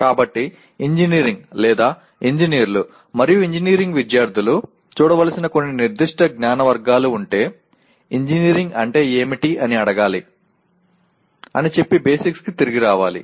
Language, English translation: Telugu, So if there are some specific categories of knowledge that engineering/ engineers and engineering students need to look at so we have to get back to basics saying that we need to ask what is engineering